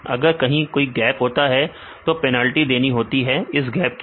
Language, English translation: Hindi, If there is a gap then we have to give penalty for this gap